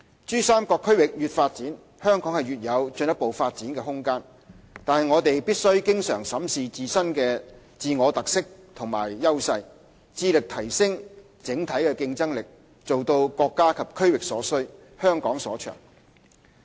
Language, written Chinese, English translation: Cantonese, 珠三角區域越發展，香港越有進一步發展的空間，但我們必須經常審視自我特色和優勢，致力提升整體競爭力，做到國家及區域所需、香港所長。, With further development of PRD there is ample room for Hong Kong to grow further . Hong Kong should regularly assess our differentiation and advantages and enhance our overall competitiveness in order to achieve the objective of catering for the needs of the country and region with Hong Kongs strengths